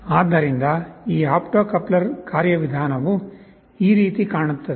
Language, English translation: Kannada, So, this opto coupler mechanism looks like this